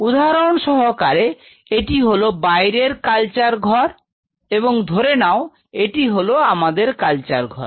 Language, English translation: Bengali, Say for example, this is the outer culture room and say in our culture room